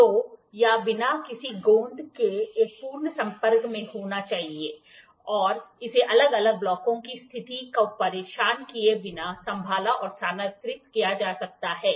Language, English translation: Hindi, So, it has to be a perfect contact without any glue and can be handled and move around without disturbing the position of the individual blocks